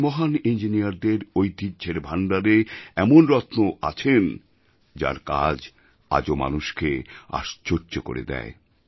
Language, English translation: Bengali, In this lineage of great engineers, we were blessed with a diamond whose work is still a source of wonder for all